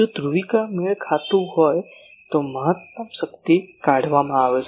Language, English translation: Gujarati, If polarisation is match then there will be maximum power can be extracted